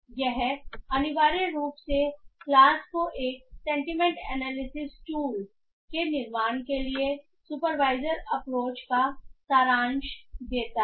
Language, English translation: Hindi, So, this essentially summarizes the supervised approaches for building a sentiment analysis tool